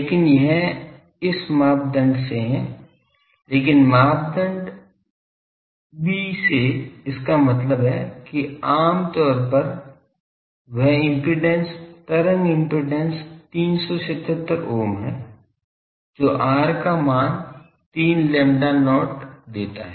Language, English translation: Hindi, But this is from this criteria, but from criteria b; that means, that impedance wave impedance is 377 ohm generally, that gives r as 3 lambda not